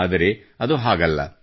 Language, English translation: Kannada, But it is not so